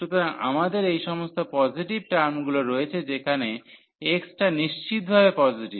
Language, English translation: Bengali, So, we have all these positive term whether x is strictly positive